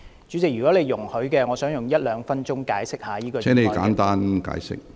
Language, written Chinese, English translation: Cantonese, 主席，如你容許，我想花一兩分鐘解釋這項議案。, President with your permission I would like to spend a couple minutes of explaining this motion